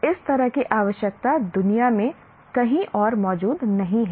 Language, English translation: Hindi, Such a requirement doesn't exist anywhere else in the world